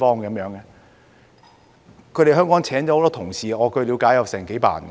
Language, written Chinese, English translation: Cantonese, 他們在香港聘請了很多員工，據我了解有幾百人。, They have many employees in Hong Kong and as far as I know there are hundreds of them